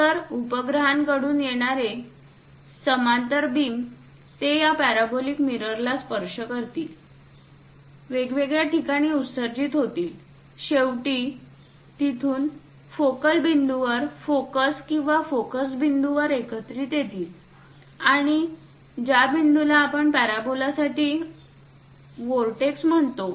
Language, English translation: Marathi, So, the parallel beams from satellites coming, they will reflect touch this parabolic mirror, reflux at different locations; from there finally, converged to a point focal, focus or foci point and this point what we call vortex for a parabola